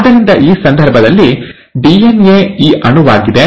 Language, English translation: Kannada, So a DNA which is, in this case, is this molecule